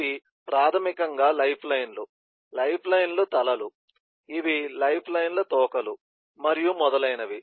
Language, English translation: Telugu, these are basically lifelines, the heads of lifelines, these are tails of lifelines, and so on